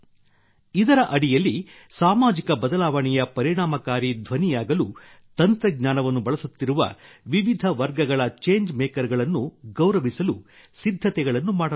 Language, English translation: Kannada, Under this, preparations are being made to honour those change makers in different categories who are using technology to become effective voices of social change